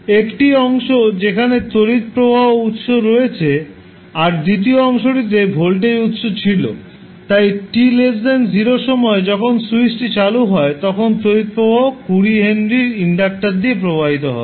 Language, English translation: Bengali, So 1 part is were the current source is available second part were voltage source is available, so at time t less than 0 when the switch is open the current will be flowing through the 20 henry inductor